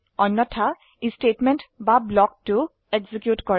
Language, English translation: Assamese, Else, it executes Statement or block 2